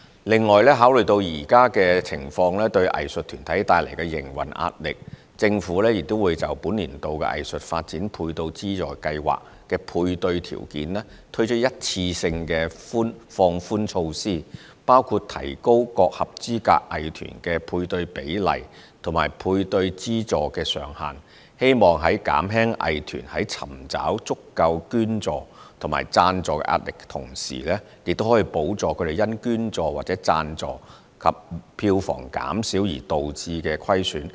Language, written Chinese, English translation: Cantonese, 另外，考慮到現時情況對藝術團體帶來的營運壓力，政府也會就本年度藝術發展配對資助計劃的配對條件推出一次性放寬措施，包括提高各合資格藝團的配對比例及配對資助上限，希望在減輕藝團在尋找足夠捐助或贊助壓力的同時，也可補助他們因捐助或贊助及票房減少而導致的虧損。, Furthermore as the current situation brings pressure to the operation of art groups the Government will also introduce one - off relaxation to the matching parameters of this years Art Development Matching Grants Scheme including the increase of matching ratio for eligible arts groups and their respective matching grant ceiling . It is hoped that such relaxation will help to alleviate the pressure of art groups in soliciting sufficient donations or sponsorships and minimize their losses as a result of reduced donations or sponsorships and box office income